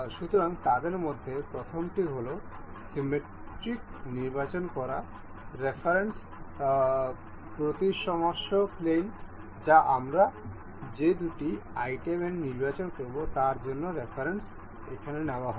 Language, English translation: Bengali, So, first one of them is to select the symmetric; the symmetry plane of reference that that would be the reference for the two items that we will be selecting